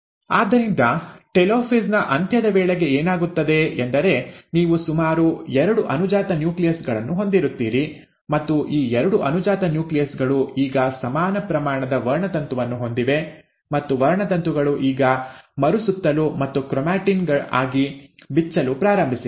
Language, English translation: Kannada, So by the end of telophase, what happens is that you end up having almost two daughter nuclei and these two daughter nuclei now have equal amount of chromosome, and the chromosomes have now started to rewind and unwind into chromatin